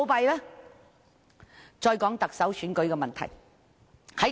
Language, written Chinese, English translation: Cantonese, 回到特首選舉的問題。, Back to the question on this Chief Executive Election